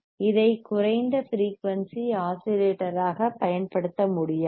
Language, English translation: Tamil, It cannot be used as lower frequency oscillator